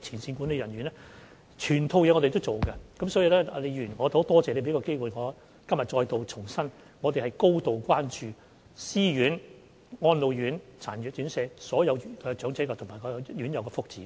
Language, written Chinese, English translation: Cantonese, 所以，李議員，我非常感謝你給我這個機會，今天重申我們是高度關注私院、安老院、殘疾人士院舍所有長者和院友的福祉。, Therefore Prof LEE thank you so much for giving me this opportunity . I reiterate that we are highly concerned about the well - being of all the elderly people and residents in private homes RCHEs and RCHDs